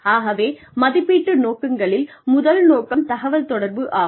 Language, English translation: Tamil, So, the aims of appraisals are, the first aim is communication